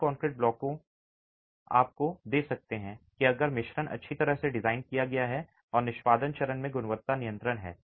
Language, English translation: Hindi, The cement concrete blocks can give you that if the design is well, if the mix is well designed and quality control in the execution faces is there